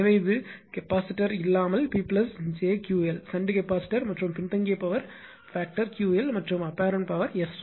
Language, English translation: Tamil, So, it is P plus j Q l without any capacitor, shunt capacitor right and lagging power for this Q l and the apparent power is S 1 right